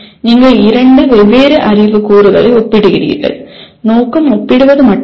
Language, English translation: Tamil, You are comparing two different knowledge elements and then the purpose is only comparing